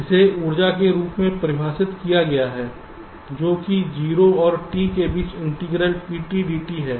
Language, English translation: Hindi, this is defined as the energy, that is integral pt, dt between zero and t